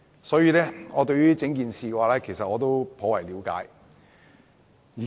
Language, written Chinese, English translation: Cantonese, 所以，我對整件事頗為了解。, Therefore I have profound understanding of the whole issue